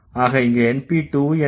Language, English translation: Tamil, So, np is what